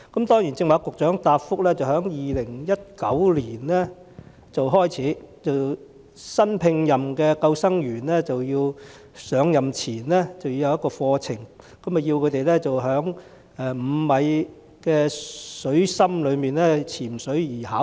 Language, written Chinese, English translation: Cantonese, 局長剛才在答覆指出，由2019年開始，新聘任的救生員在上任前需要接受入職課程，要求他們通過徒手潛水至5米水深處的考核。, According to the earlier reply of the Secretary starting from 2019 newly recruited lifeguards have to attend an induction programme before actually performing duties in which they are required to pass a five - metre deep skin diving test